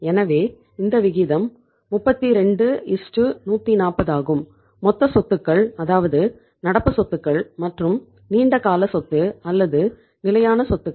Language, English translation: Tamil, So this ratio is 32:140 the total assets that is the current plus the long term asset or the fixed assets